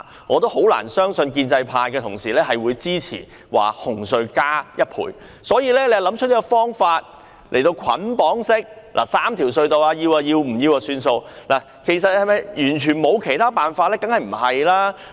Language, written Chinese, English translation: Cantonese, 我很難相信建制派同事會支持紅隧加價1倍，所以政府便想出這個捆綁3條隧道的方案，議員接受便接受，不然便拉倒。, I think the Government can hardly convince pro - establishment Members to support the proposal of doubling CHTs toll . Thus the Government has bundled the proposals for all three RHCs as one package . Members can accept the package or else it will be withdrawn altogether